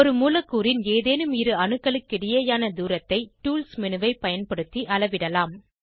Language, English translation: Tamil, Distance between any two atoms in a molecule, can be measured using Tools menu